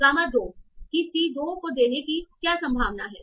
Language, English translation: Hindi, What is the probability that gamma 2 is giving to C2